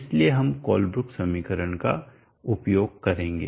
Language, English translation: Hindi, So we will use the Colebrook equation